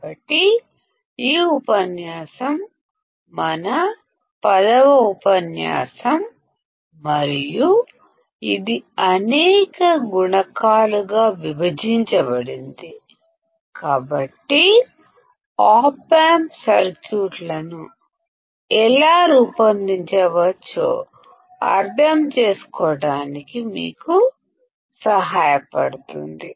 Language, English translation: Telugu, So, this lecture is our 10th lecture and it is divided into several modules; so, as to help you understand how the Op amp circuits can be designed